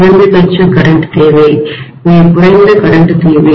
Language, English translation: Tamil, Minimum current is needed, very minimum current is needed